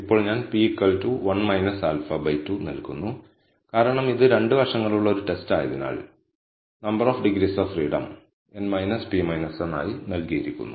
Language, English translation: Malayalam, Now, I give p equal to 1 minus alpha by 2 since it is a two sided test, and the number of degrees of freedom are given as n minus p minus 1